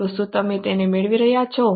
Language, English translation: Gujarati, So, are you getting it